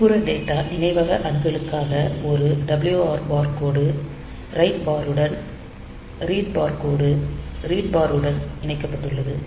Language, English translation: Tamil, So, for external data memory access, this is the thing that is a WR bar line is connected to write bar read bar line is connected to read bar PSEN bar